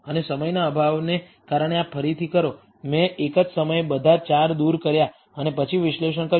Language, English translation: Gujarati, And redo this because of lack of time, I have just removed all 4 at the same time and then done the analysis